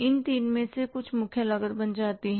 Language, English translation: Hindi, Some total of these three becomes the prime cost